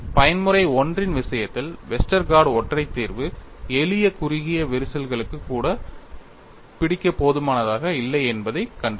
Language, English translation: Tamil, We will have a different type of story here in the case of mode 1, we found that Westergaard singular solution was not sufficient to capture even for simple short cracks